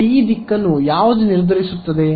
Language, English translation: Kannada, When will it what determines the direction of t